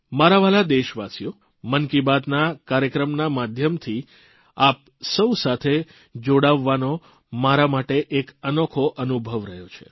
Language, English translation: Gujarati, My dear countrymen, connecting with all of you, courtesy the 'Mann KiBaat' program has been a really wonderful experience for me